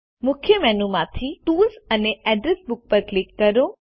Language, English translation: Gujarati, From the Main menu, click on Tools and Address Book